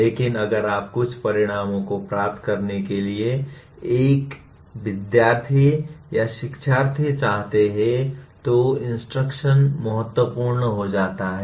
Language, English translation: Hindi, But if you want a student to or learner to acquire some outcomes then the instruction becomes important